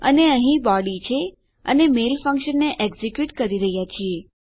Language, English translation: Gujarati, And our body in here and we are executing our mail function